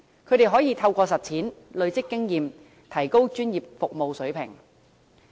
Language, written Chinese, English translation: Cantonese, 他們可以透過實踐累積經驗，提高專業服務水平。, This will enable them to practically use their accumulated experience to upgrade the standard of professional services